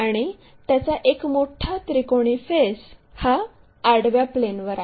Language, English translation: Marathi, And the larger triangular faces that is on horizontal plane